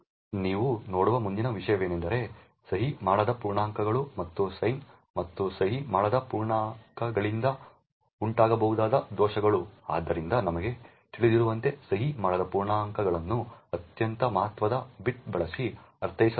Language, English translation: Kannada, The next thing we look at is unsigned integers and the vulnerabilities that can be caused by due to sign and unsigned integers, so as we know signed integers are interpreted using the most significant bit